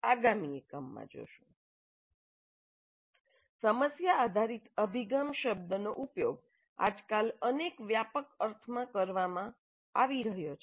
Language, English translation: Gujarati, The term problem based approach is being used in several broad senses these days